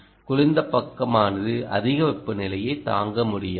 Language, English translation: Tamil, cold side cannot, which stand high temperatures